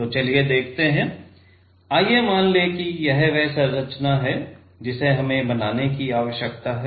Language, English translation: Hindi, So, let us see; let us assume this is the structure we need to create